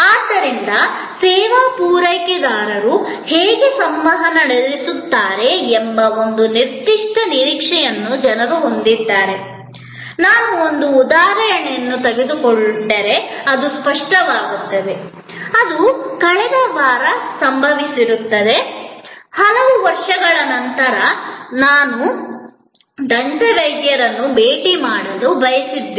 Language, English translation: Kannada, So, people have a certain expectation that how the service providers will interact, it will become clearer if I just take an example, which happen to be in last week, after many years I wanted to visit my dentist